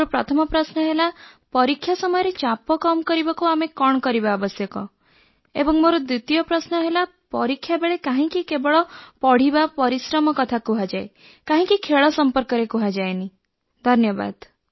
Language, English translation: Odia, My first question is, what can we do to reduce the stress that builds up during our exams and my second question is, why are exams all about work and no play